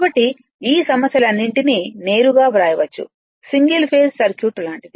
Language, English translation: Telugu, So, directly can write all these problems we have solve like is like your single phase circuit